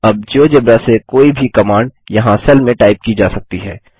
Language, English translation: Hindi, Now any command from the geogebra can be typed in a cell here